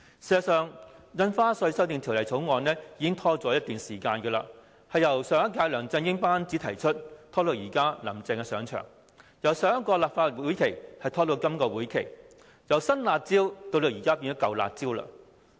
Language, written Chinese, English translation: Cantonese, 事實上，《條例草案》已經延擱一段時間，由上一屆梁振英班子提出，延至現屆"林鄭"新班子上場；由上一個立法會會期，拖延至今個會期；由"新辣招"到現在變成"舊辣招"。, In fact the Bill has been put on hold for some time . Introduced by the former LEUNG Chun - ying administration it has been carried over to the new administration of Carrie LAM . The legislative process of the Bill has extended from the previous session to the current session of the Legislative Council